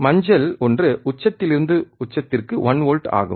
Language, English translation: Tamil, And yellow one is peak to peak is 1 volt